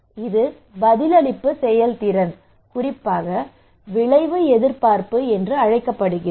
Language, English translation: Tamil, this is we called response efficacy, particularly outcome expectancy